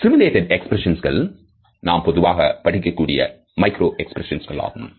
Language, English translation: Tamil, Simulated expressions are most commonly studied forms of micro expressions